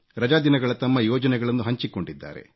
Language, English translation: Kannada, They have shared their vacation plans